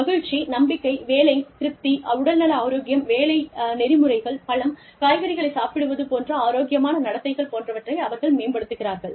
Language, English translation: Tamil, They improve happiness, confidence, job satisfaction, physical health, work ethic, healthy behaviors such as, increasing fruit and vegetable consumption